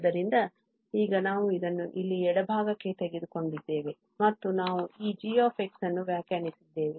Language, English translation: Kannada, So, now we have taken this here to the left hand side and we have defined this g x